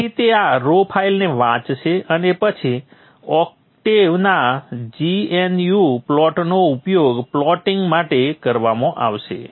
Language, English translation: Gujarati, So it will read this raw file and then the octaves GnU plot is used for plotting